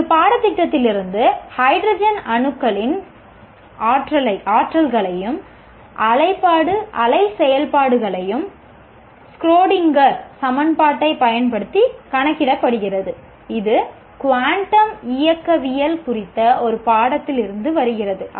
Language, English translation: Tamil, data compute the energies and wave functions of hydrogen atoms using a Schrodinger equation that comes from a course on quantum mechanics